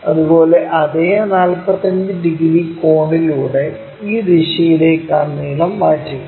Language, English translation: Malayalam, Similarly, transfer that length in this direction with the same 45 degrees angle